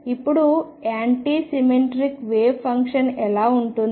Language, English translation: Telugu, Now how about the anti symmetric wave function